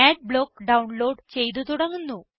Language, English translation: Malayalam, Adblock starts downloading Thats it